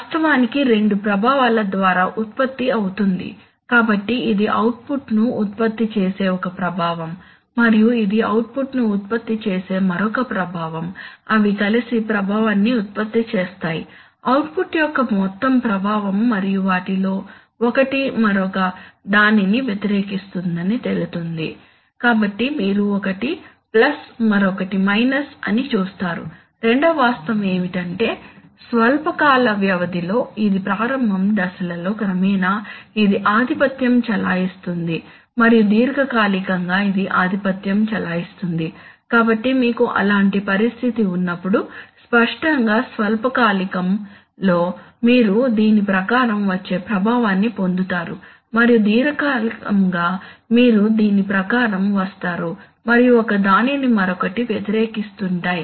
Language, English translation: Telugu, Is actually produced by two effects, so this is one effect which produces the output and this is another effect that produces output, they together produce the effect, overall effect of the output and it turns out that one of them, one of them, is opposing the other, so you see one is plus another is minus, the second fact is that in the short timescale, that is over time scale in the initial phases this one dominates and in the long term this one dominates, so when you have such a situation then obviously in the short term, you will get an effect which will come according to this one and in the long term you will get an effect which will come according to this one and they are opposing